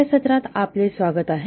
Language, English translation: Marathi, Welcome to this session